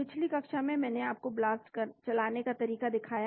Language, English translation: Hindi, In the previous class, I showed you how to run the BLAST